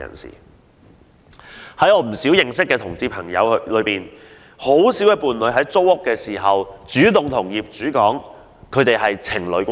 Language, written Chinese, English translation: Cantonese, 在我認識的同志朋友中，很少人會在租屋時主動向業主表示是情侶關係。, Very few homosexual friends of mine will volunteer to disclose their relationship as a couple to the landlords letting apartments to them